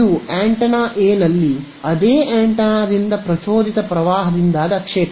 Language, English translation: Kannada, This is the field due to the induced current on the same antenna on A